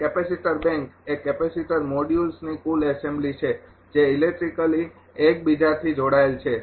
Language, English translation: Gujarati, And capacitor bank is a total assembly of capacitor modules electrically connected to each other